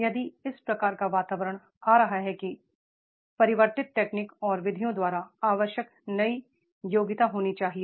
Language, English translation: Hindi, If this type of the environment is coming then the new competency required by change technology and methods